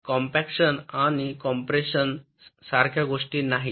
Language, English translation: Marathi, compaction and compression are not the same thing